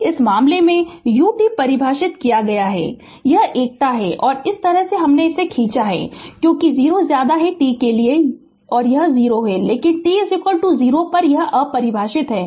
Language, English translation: Hindi, So, ah in for this case u t is defined this is unity and and this is like this we have drawn because for t less than 0 it is your 0 so, but at t is equal to 0 your your what you call it is undefined